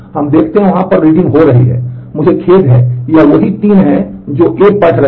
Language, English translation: Hindi, So, we see that on a there are reads happening, I am sorry this is these are the 3 that is reading A